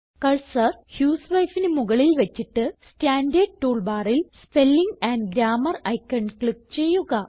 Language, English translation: Malayalam, Now place the cursor on the word husewife and click on the Spelling and Grammar icon in the standard tool bar